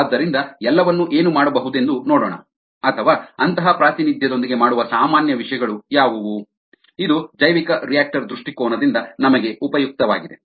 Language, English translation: Kannada, so let us see what all can be done, or what are the common things that i would done with, with such a representation, which would be useful for us from a bioreactor point of view